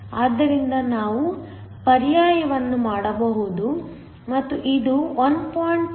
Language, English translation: Kannada, So, We can do the substitution and this works out to be 1